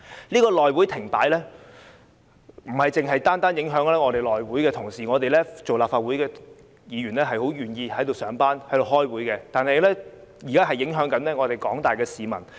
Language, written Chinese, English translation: Cantonese, 內會停擺，不單影響內會同事，我們作為立法會議員，很願意在此上班和開會，但現在也影響到廣大市民。, The shutdown of the House Committee affects not only members of that Committee . We as Members of the Legislative Council are very willing to go to work and attend meetings in the Legislative Council . The general public are now at stake